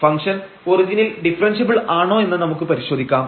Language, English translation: Malayalam, So, we will check whether this function is differentiable at origin